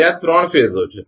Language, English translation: Gujarati, There are 3 phases